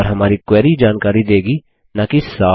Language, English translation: Hindi, And our query will return details and not summaries